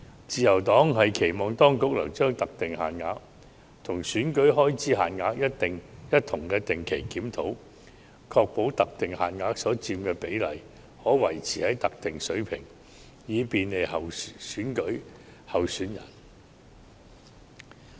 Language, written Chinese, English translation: Cantonese, 自由黨期望當局能將特定限額與選舉開支限額一同定期檢討，確保特定限額所佔的比例可維持在特定水平，以便利選舉候選人。, The Liberal Party urges the authorities to regularly review the prescribed limits in conjunction with EELs to ensure that the prescribed limits will be maintained at a specific percentage to facilitate candidates